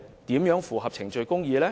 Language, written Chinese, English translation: Cantonese, 怎能符合程序公義呢？, How can procedural justice be upheld?